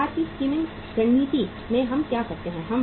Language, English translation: Hindi, In the market skimming strategy what we do